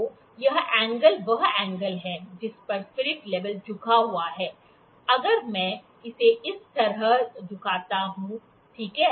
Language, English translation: Hindi, So, this angle, this angle that is angle at which the spirit l is level is tilted if I tilt it like this, ok